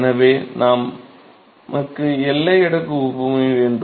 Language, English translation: Tamil, So, we now, that we have boundary layer analogy